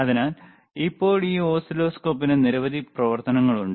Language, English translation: Malayalam, So, this is how the oscilloscopes are used,